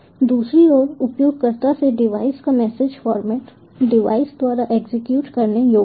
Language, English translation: Hindi, computer, on the other hand, the message format from the user to the device is executable by the device